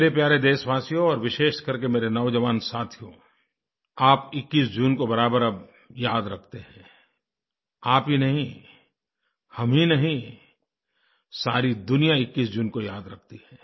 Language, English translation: Hindi, My dear countrymen and especially my young friends, you do remember the 21stof June now;not only you and I, June 21stremains a part of the entire world's collective consciousness